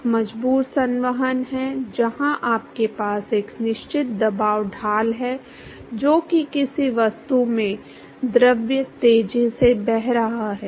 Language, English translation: Hindi, One is the forced convection where you have a definite pressure gradient which is fluid is flowing fast in certain object